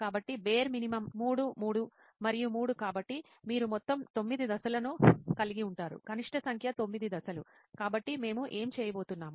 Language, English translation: Telugu, So bare minimum is 3, 3 and 3 so you will have a total of 9 steps in all, minimum number of 9 steps, so that is what we are going to do